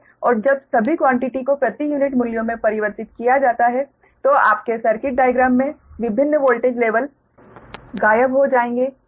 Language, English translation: Hindi, and when all the all the quantities are converted in per unit values, that different voltage level will disappear in your circuit diagram